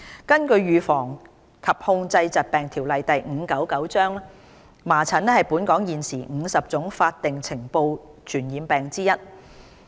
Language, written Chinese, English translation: Cantonese, 根據《預防及控制疾病條例》，麻疹是本港現時50種法定須呈報的傳染病之一。, According to the Prevention and Control of Disease Ordinance Cap . 599 measles is one of the 50 statutorily notifiable infectious diseases in Hong Kong